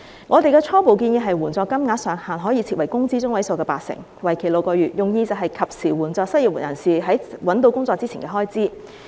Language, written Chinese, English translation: Cantonese, 我們的初步建議是援助金額上限可以設為工資中位數的八成，為期6個月，用意是及時援助失業人士在找到工作前的開支。, Our preliminary proposal is the provision of an allowance to the unemployed at 80 % of their median monthly wages for a period of six months with the intention of helping them with their expenses before they land a new job